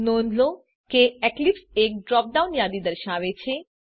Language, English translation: Gujarati, Notice that Eclipse displays a drop down list